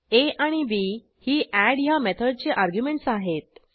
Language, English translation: Marathi, a,b are the arguments of the method add